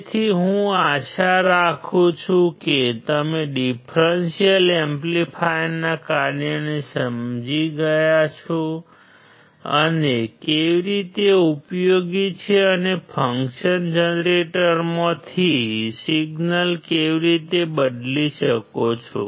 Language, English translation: Gujarati, So, I hope that you understood the function of the differential amplifier and how it is useful and how you can change the signal from the function generator